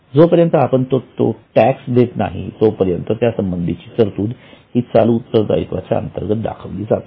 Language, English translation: Marathi, Till the time we pay it, it will be shown as provision for tax under the head current liabilities